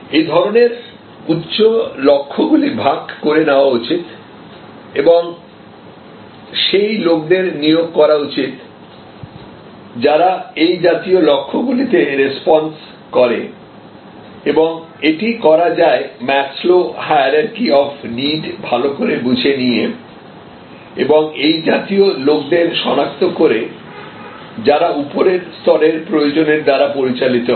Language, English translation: Bengali, Such lofty goals should be shared and you should recruit people, who are of that type to respond to such goals that can be done by understanding the Maslow’s hierarchy of needs and identifying such people, who are driven by the higher level of needs